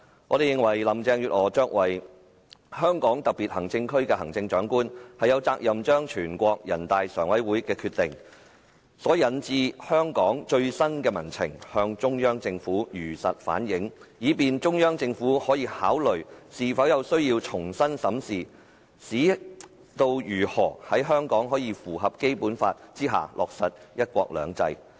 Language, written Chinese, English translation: Cantonese, 我們認為林鄭月娥作為香港特別行政區的行政長官，有責任將人大常委會的決定所引致的香港最新民情向中央政府如實反映，以便中央政府可考慮是否有需要重新審視如何在香港符合《基本法》下落實"一國兩制"。, We consider that Carrie LAM as the Chief Executive of the SAR is obliged to faithfully convey the latest public sentiments in Hong Kong as induced by the NPCSC Decision so that the Central Authorities may consider whether it is necessary to reconsider how to implement one country two systems in Hong Kong in accordance with the Basic Law